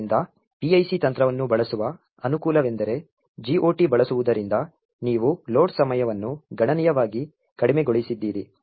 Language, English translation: Kannada, So, the advantages of using PIC technique that is with using the GOT is that you have reduced the load time considerably